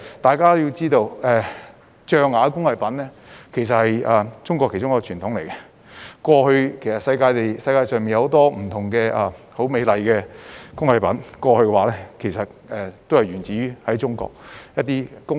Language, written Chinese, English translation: Cantonese, 大家要知道，象牙工藝是中國的其中一個傳統，世界上很多美麗的工藝品其實都源於中國工藝。, As we all know ivory craft is one of the traditional crafts in China and many beautiful crafts in the world are originated from Chinese crafts